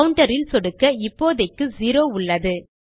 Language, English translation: Tamil, Click on counter and weve got zero at the moment